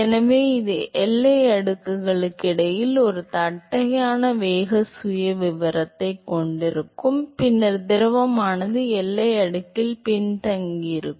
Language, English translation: Tamil, So, it will have a flat velocity profile between the boundary layers and then the fluid will be retarded in the boundary layer